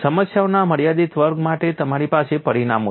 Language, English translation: Gujarati, For restricted flaws of problems you have the results